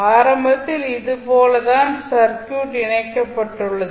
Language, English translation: Tamil, Initially it is like this, the circuit is connected